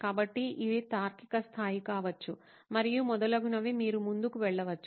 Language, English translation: Telugu, So this could be the level of reasoning, and so on and so forth you can keep going down